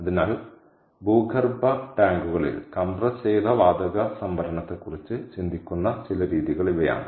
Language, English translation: Malayalam, ok, so these are some of the methods that are being thought of compressed gas storage in underground tanks